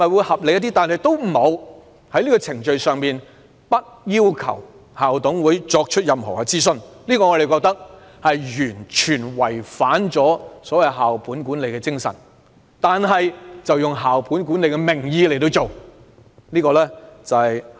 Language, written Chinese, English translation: Cantonese, 可是，政府竟然不要求校董會進行任何諮詢程序，我們認為這是完全違反了校本管理的精神，但卻以校本管理的名義進行。, This approach will be more reasonable and yet the Government does not require school management committees to carry out any consultation . To us this is something that goes against the spirit of school - based management but being done in the name of school - based management